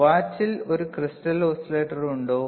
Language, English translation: Malayalam, Is there a crystal is there an oscillator in a watch